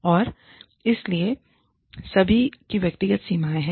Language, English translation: Hindi, And, so everybody has personal boundaries